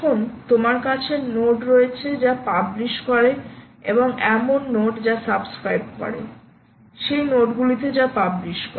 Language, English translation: Bengali, now you have nodes which publish and there are nodes which subscribe to this